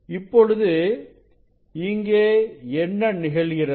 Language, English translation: Tamil, Now, here what happens